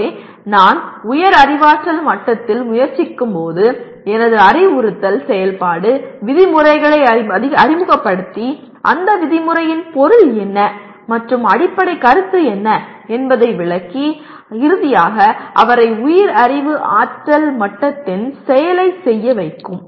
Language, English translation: Tamil, So when I am trying to, a higher cognitive level activity my instructional activity will introduce the terms and explain what the term means and what the underlying concept is and finally make him do at a higher cognitive level